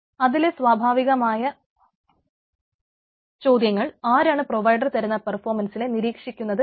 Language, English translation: Malayalam, so natural question: who should monitor the performance of the provider